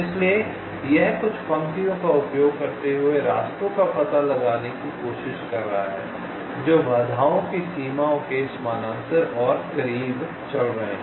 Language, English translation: Hindi, ok, so it is trying to trace the paths using some lines which are running parallel and close to the boundaries of the obstacles